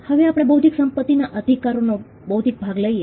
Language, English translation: Gujarati, Now, let us take the intellectual part of intellectual property rights